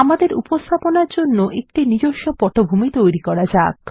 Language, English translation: Bengali, Lets create a custom background for our presentation